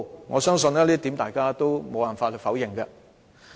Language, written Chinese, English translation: Cantonese, 我相信這點無法否認。, I believe no one can deny this